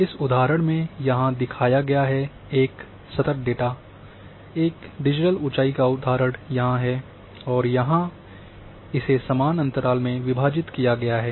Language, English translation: Hindi, Example is shown here is a data which is in continuous fashion,a digital elevation example is here and at equal interval it has been divided